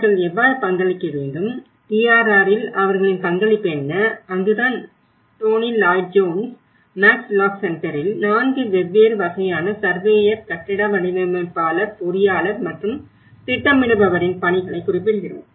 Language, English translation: Tamil, How they have to contribute, what is the role of their contribution in the DRR and that is where we refer to the Tony Lloyd Jones in Max lock Centres work of the 4 different categories of surveyor, architects and the engineer and the planner so how what are their roles and what stage